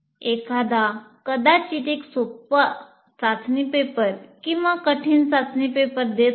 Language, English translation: Marathi, And what happens is one may be giving a very easy test paper or a difficult test paper